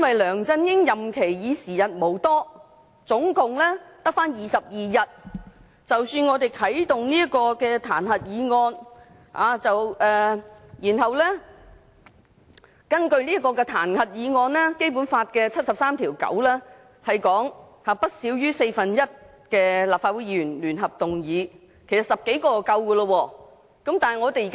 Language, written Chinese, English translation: Cantonese, 梁振英的任期已經時日無多，只剩下22天，我們啟動彈劾議案，然後根據《基本法》第七十三條第九項所訂，由不少於四分之一的立法會議員聯合動議議案，其實10多位議員已足夠。, At a time when there are only 22 days left in LEUNG Chun - yings term of office we initiated the motion of impeachment and moved it jointly by one fourth of all the Members of the Legislative Council according to Article 739 of the Basic Law